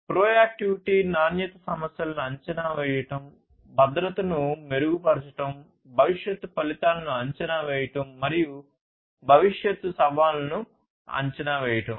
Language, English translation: Telugu, Proactivity predicting the quality issues, improving safety, forecasting the future outcomes, and predicting the future challenges